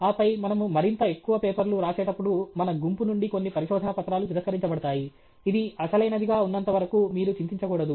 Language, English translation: Telugu, And then, when we write more and more papers, from our group some paper will get rejected; you should not worry